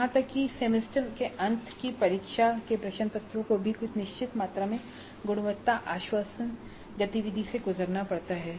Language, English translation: Hindi, Even semester and examination papers have to go through certain amount of quality assurance activity